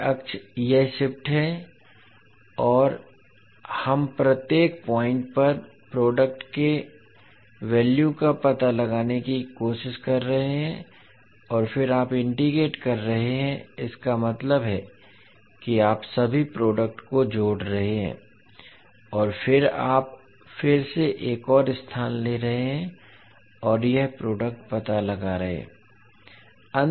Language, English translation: Hindi, So at this axis it is shifting and we are trying to find out the value of the product at each and every point and ten you are integrating means you are summing up all the products and then you are again you are taking another location and finding out the product